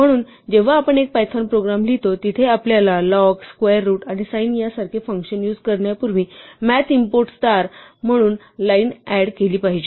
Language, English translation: Marathi, So, when we write a python program where we would like to use log, square root and sin and such like, then we should add the line from math import star before we use these functions